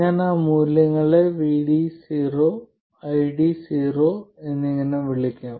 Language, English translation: Malayalam, Let me call those values as VD 0 and ID 0